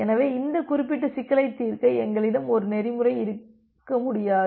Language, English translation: Tamil, So, we cannot have one protocol to solve this particular problem